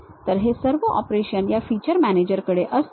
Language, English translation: Marathi, So, all these operations you will have it at these feature managers